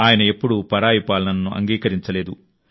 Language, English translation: Telugu, He never accepted foreign rule